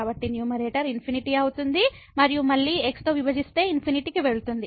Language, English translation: Telugu, So, the numerator is infinity and divided by again goes to infinity